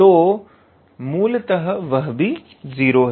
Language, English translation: Hindi, So, basically that one is also 0